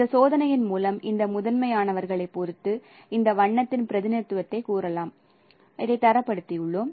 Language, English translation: Tamil, That is how we have standardized the representation of this color with respect to this primaries through this experiment